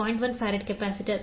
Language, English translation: Kannada, 1 farad capacitor 0